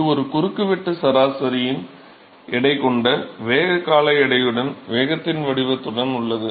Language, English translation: Tamil, It is a cross sectional average weighted with the velocity term weighted, with the profile of the velocity